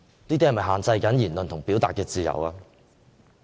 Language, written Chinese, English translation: Cantonese, 這是否會限制言論自由？, Will this affect freedom of speech?